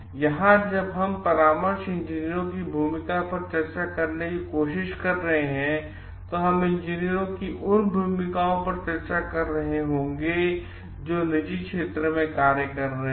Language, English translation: Hindi, Here we are when we are trying to discuss the role of consulting engineers we will be discussing those roles of engineers who are in private practice